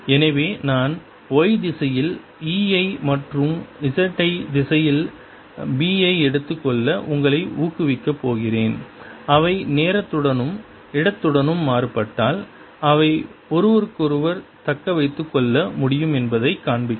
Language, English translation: Tamil, so i am going to motivate you by taking e in the y direction and b in the z direction and show you that if they vary with time and space, they can sustain each other